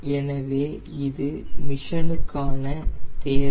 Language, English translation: Tamil, so in this require in this mission